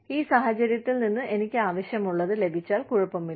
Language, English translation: Malayalam, If I get, what I need from this situation, it is okay